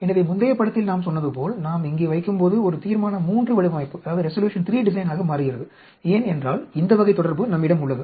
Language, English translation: Tamil, So, as originally we said in the previous picture when we put here, this becomes a Resolution III design because we have this type of relation